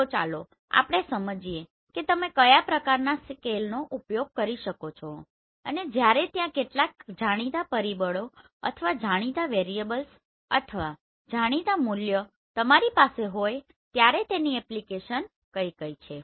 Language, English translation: Gujarati, So let us understand what are the different types of scale you can use and what are the different application you have when there are certain known factors or known variables or known values are with you right